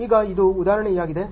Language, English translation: Kannada, Now, this is the example